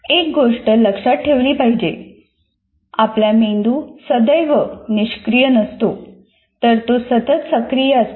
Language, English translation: Marathi, And one thing should be remembered, our brains are constantly active